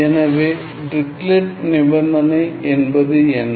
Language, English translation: Tamil, So, what do I mean by Dirichlet condition